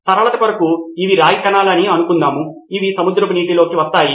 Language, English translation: Telugu, For simplicity sake let’s assume that these are copper particles which are let off into the seawater